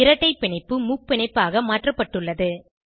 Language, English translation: Tamil, The double bond is converted to a triple bond